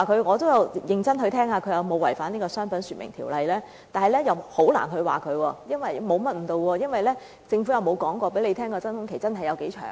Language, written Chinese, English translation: Cantonese, "我也有認真地聽，看那人有否違反《商品說明條例》，但很難指他違反該條例，因為政府從未公布真空期有多長。, I advise you to buy now . I listened very carefully to see if that person had violated the Trade Descriptions Ordinance but it was very hard to accuse him of violating the Ordinance because the Government had never announced how long the vacuum period would be